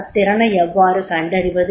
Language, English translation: Tamil, How to identify the potential